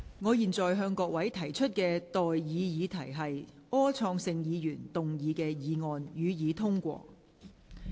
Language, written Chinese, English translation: Cantonese, 我現在向各位提出的待議議題是：柯創盛議員動議的議案，予以通過。, I now propose the question to you and that is That the motion moved by Mr Wilson OR be passed